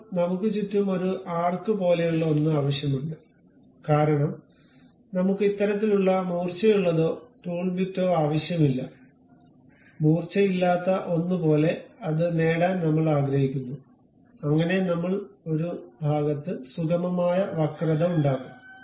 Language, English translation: Malayalam, Now, we require something like a arc around that because we do not want this kind of sharp or tool bit, something like a a blunted one we would like to have it, so that a smooth curve we will be in a portion to do